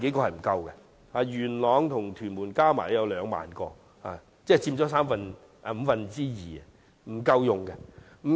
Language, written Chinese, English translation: Cantonese, 元朗和屯門加起來有兩萬個，即佔了總數五分之二，但仍不足夠。, There are 20 000 spaces in Yuen Long and Tuen Mun altogether accounting for two fifths of the total but it remains not adequate